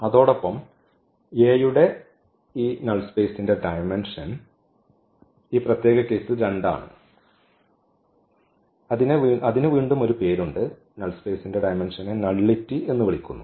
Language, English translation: Malayalam, So, these vectors form a basis for the null space of A and the dimension of this null space of A in this particular case its 2 which is again has a name is called nullity